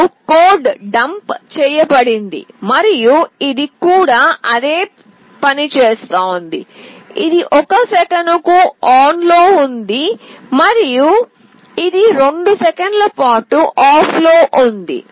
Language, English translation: Telugu, Now the code is dumped and it is also doing the same thing, it is on for 1 second and it is off for 2 seconds